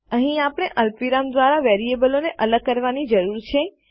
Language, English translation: Gujarati, Here we need to separate the variables by a comma